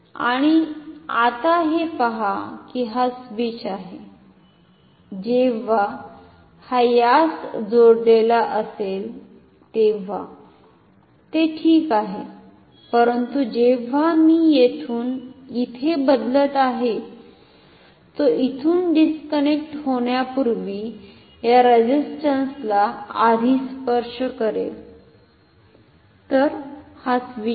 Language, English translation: Marathi, And now see that the switch is so, that it when it is connected to this it is ok, but then when I am changing from here to here, this will touch this resistance first before it disconnects from this is a switch ok